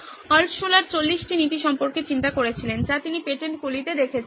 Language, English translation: Bengali, There are 40 principles that Altshuller thought about saw this in the patents